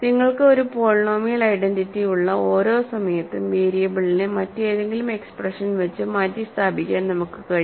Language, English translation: Malayalam, And every time you have a polynomial identity we can formally replace the variable by any other expression